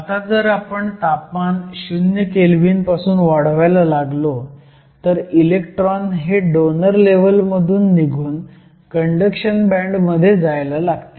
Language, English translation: Marathi, Now, if you start to increase your temperature from zero Kelvin, electrons are going to get excited from the donor level to the conduction band